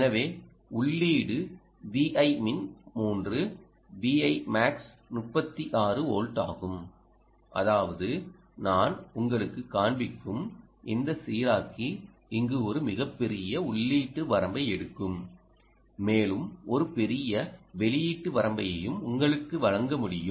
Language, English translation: Tamil, so the input itself, v in min is three ah, v in max is thirty six volt, which means this regulator that i show you here, essentially ah is a, takes a ah very large input range and can also give you a large output range, depending on what you are looking at